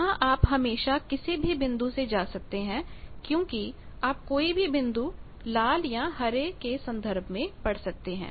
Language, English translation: Hindi, Here, you can always go any point from because any point you can read it in terms of the red ones or green ones